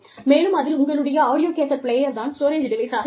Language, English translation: Tamil, And, your audio cassette player, with regular audiocassettes, as the storage device